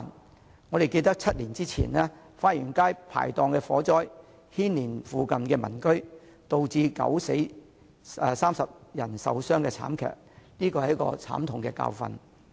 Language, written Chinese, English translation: Cantonese, 大家應該還記得7年前花園街排檔發生的火災，不但牽連附近民居，而且造成9人死亡、30人受傷的慘劇，這是一個慘痛的教訓。, Members should remember the fire at the hawker stall area in Fa Yuen Street seven years ago . The tragedy not only affected the residents nearby but also killed nine people and injured 30 others . That is a painful lesson to learn